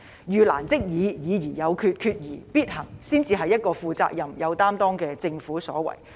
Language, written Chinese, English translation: Cantonese, "遇難即議、議而有決、決而必行"才是一個負責任、有擔當的政府的所為。, A responsible and committed Government should examine the difficulties without delay make a decision after the examination and take decisive actions